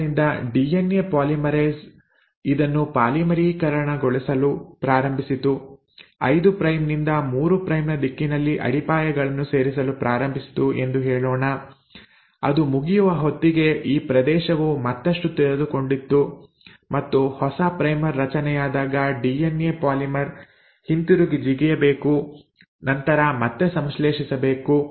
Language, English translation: Kannada, So let us say, the DNA polymerase started polymerising this thing, started adding the bases in the 5 prime to 3 prime direction, by the time it finished it, this region further uncoiled and when a new primer was formed, so the DNA polymer has to come back and jump and then synthesise again